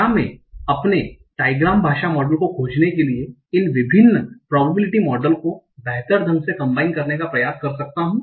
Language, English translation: Hindi, Can I try to effectively combine these different probability models to find my trigram language models